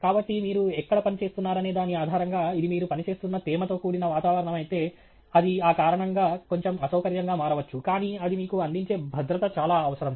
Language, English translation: Telugu, So, based on where you are working, if itÕs a humid environment you are working in, it may tend to become slightly uncomfortable for that reason, but the safety that it provides to you is indispensable